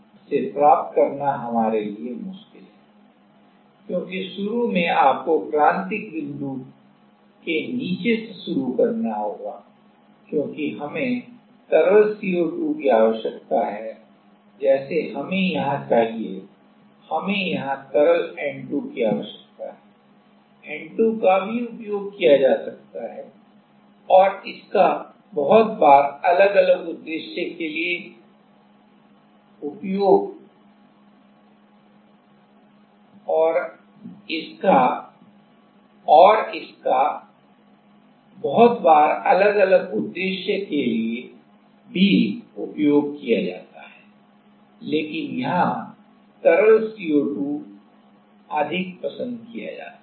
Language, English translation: Hindi, So, which is difficult for us to get because initially you have to start below critical point right, because we need liquid CO2 like that we need here, we need liquid N2 liquid N2 also can be used and it is very frequently used for different different purpose, but here liquid CO2 is more preferred